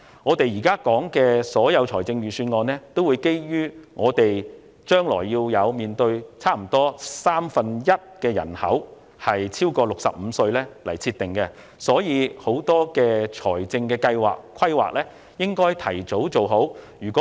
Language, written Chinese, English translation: Cantonese, 我們現時討論的預算案，均基於香港將要面對約三分一人口超過65歲這個前設來制訂，因此，許多的財政計劃和規劃須盡早完成。, The Budget which we are now discussing is based on the premise that Hong Kong will have to cater for a population of which about one third are people aged over 65 . Hence various financial plans and fiscal planning must be in place as early as possible